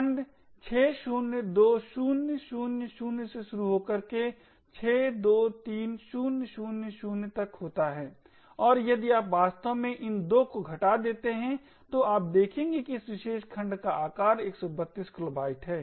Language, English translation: Hindi, Segment starts at 602000 to 623000 and if you can actually subtract these 2 you would see that the size of this particular segment is 132 kilobytes